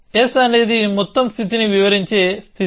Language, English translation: Telugu, s is a state which describes the whole state